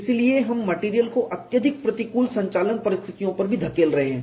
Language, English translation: Hindi, So, we are pushing the material also to the extreme operating conditions